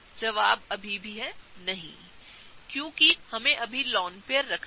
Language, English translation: Hindi, The answer is still no, because we are yet to place the lone pairs